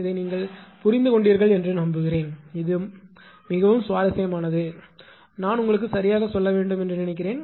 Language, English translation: Tamil, I hope you have understood this right this is very interesting, but I thought I should tell you right